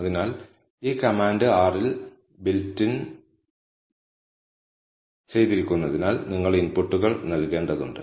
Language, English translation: Malayalam, So, this command is in built in R you just need to give the inputs